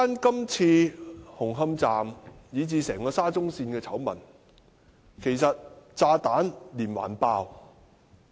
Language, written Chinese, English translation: Cantonese, 今次紅磡站以至整條沙中線的醜聞，其實炸彈連環爆。, The scandal at Hung Hom Station and even all stations along SCL is just like a series of bomb explosions